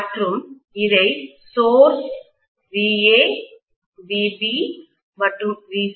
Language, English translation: Tamil, And these are of course VA, VB and VC